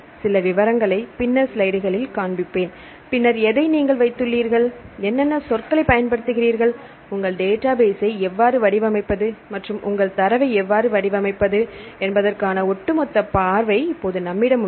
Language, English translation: Tamil, I will show some of the details in the later slides, then now we have the overall view of the data what you will have put in and what the terms you use, and how to design your database and what the how do format your data right